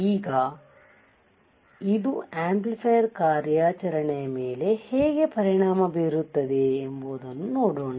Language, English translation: Kannada, Now, let us see how this is going to affect the amplifier operation